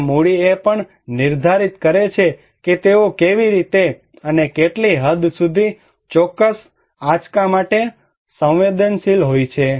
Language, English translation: Gujarati, And also capital define that how and what extent they are vulnerable to particular shock